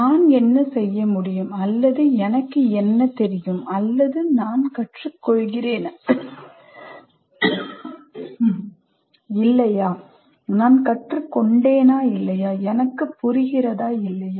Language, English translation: Tamil, Do I understand what is it that I can do or what is it that I know or whether I am learning or not, whether I have learned or not